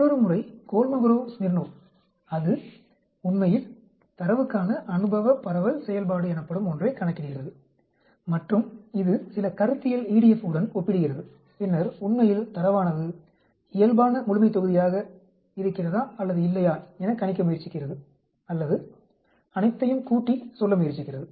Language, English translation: Tamil, The another method Kolmogorov Smirnov, it actually calculates something called empirical distribution function, for the data as well as it compares with some theoretical EDF and then tries to predict or try to sum up saying whether, the data is a normal population or not actually